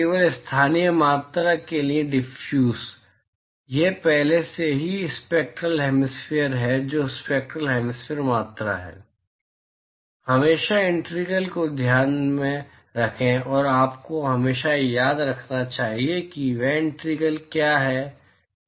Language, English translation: Hindi, Diffuses only for local quantity, this is already note that this is already spectral hemispherical that is the spectral hemispherical quantity, always keep in mind the integrals, you should always remember what those integrals are